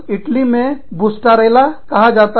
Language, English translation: Hindi, In Italy, Bustarella